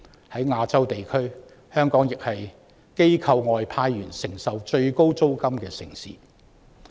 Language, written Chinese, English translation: Cantonese, 在亞洲地區，香港亦是機構外派員工承受最高租金的城市。, In Asia Hong Kong is also the city where expatriates bear the highest rentals